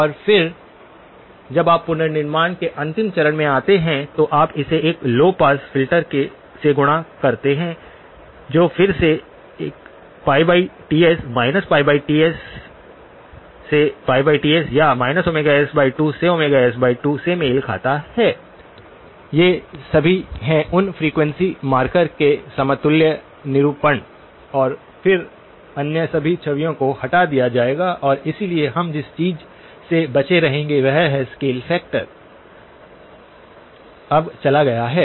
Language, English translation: Hindi, And then when you come to the last stage of reconstruction, you multiply it by a low pass filter which again corresponds to a pi over Ts, continuous time frequency will be pi over Ts, minus pi over Ts to pi over Ts, pi over Ts or minus omega s by 2 to omega s by 2, all these are equivalent representations of those frequency markers and then all other images would be removed and so what we will be left with is the scale factor is now gone